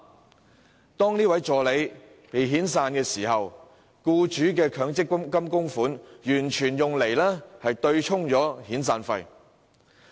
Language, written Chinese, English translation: Cantonese, 可是，當該名助理被遣散時，全部僱主供款卻用作對沖遣散費。, However when the assistant was laid off the accumulated contribution made by the employer was used for offsetting severance payments